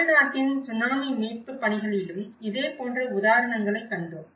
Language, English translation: Tamil, We have also seen similar examples in the Tsunami recovery process in Tamil Nadu, the case of Tamil Nadu